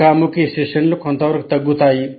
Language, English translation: Telugu, The face to face sessions are somewhat reduced